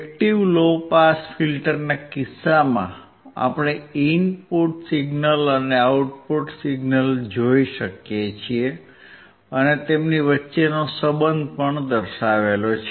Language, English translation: Gujarati, In case of active low pass filter, we can see the input signal and output signal; and the relation between them